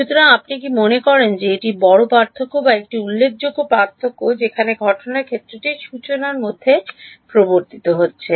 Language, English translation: Bengali, So, do you think that this is the big difference or a significant difference where the incident field is being introduced into the formulation